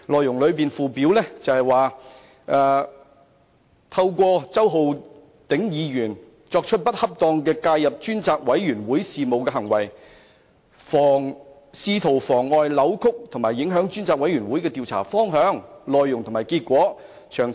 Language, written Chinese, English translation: Cantonese, 議案附表指梁振英先生"透過本會周浩鼎議員作出不恰當地介入專責委員會事務的行為，試圖妨礙、扭曲或影響專責委員會的調查方向、內容及結果"。, It is stated in the Schedule of the motion that Mr LEUNG Chun - ying worked through Hon Holden CHOW Ho - ding to improperly interfere with the affairs of the Select Committee in an attempt to frustrate deflect or affect the direction course and result of the inquiry to be carried out by the Select Committee